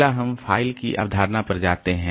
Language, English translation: Hindi, Next we go to the concept of file